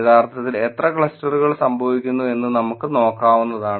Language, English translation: Malayalam, We can actually look in at how much of clusters happen